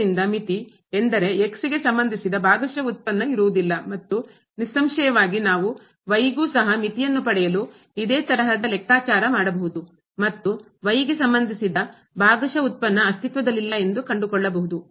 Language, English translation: Kannada, So, the limit; that means, the partial derivative with respect to does not exist in this case and obviously, the similar calculation we can do for or the partial derivative with respect to to get this limit and we will find that that the partial derivative with respect to also does not exist